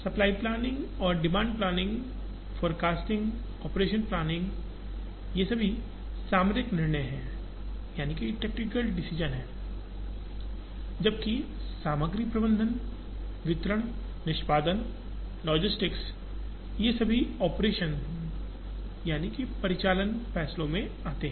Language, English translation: Hindi, Supply planning, demand planning, forecasting, operations planning are all tactical decisions, while materials management, distribution, execution, logistics, they all come under operational decisions